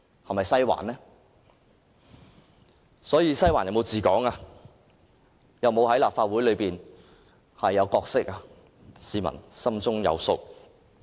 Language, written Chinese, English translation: Cantonese, 因此，"西環"有否治港及在立法會有否擔當任何角色，市民心中有數。, Therefore on the question of whether the Western District is ruling Hong Kong or playing any role in the Legislative Council members of the public should have an answer in their heart